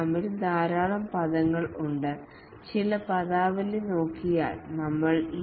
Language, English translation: Malayalam, There are many terminologies in the scrum